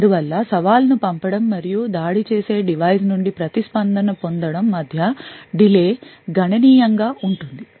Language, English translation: Telugu, Therefore, the delay between the sending the challenge and obtaining the response from an attacker device would be considerable